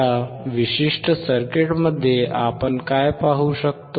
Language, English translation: Marathi, What we can see in this particular circuit